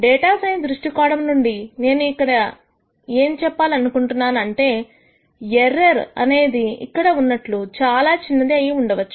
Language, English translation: Telugu, From a data science viewpoint what it means is that the error is not as small as it could be here